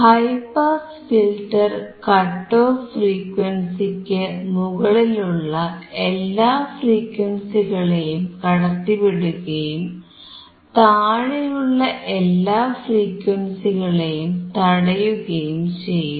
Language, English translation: Malayalam, A high pass filter passes all frequencies from the cut off frequency, and blocks all the frequencies below the cut off frequency